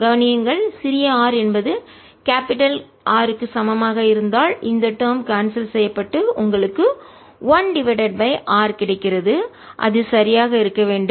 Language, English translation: Tamil, notice that if r small r equals capital r, this term cancels and you get one over r, which should be right